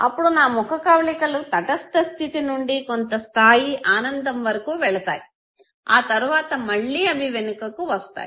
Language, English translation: Telugu, So from the neutral state my facial expression goes up to certain level of happiness and again it comes down